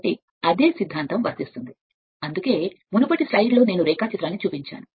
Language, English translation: Telugu, So, this is your just you just same philosophy that is why previous slide I showed the diagram